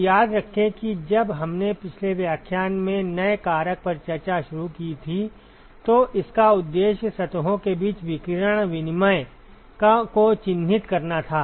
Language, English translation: Hindi, So, recall that when we initiated discussion on new factor in the last lecture, the objective was to characterize radiation exchange between surfaces